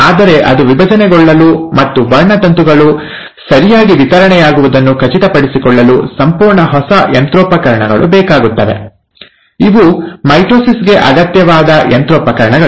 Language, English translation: Kannada, But, for it to divide, and it has to, for it to ensure that the chromosomes get properly distributed, It needs a whole lot of new machinery, which is the machinery required for mitosis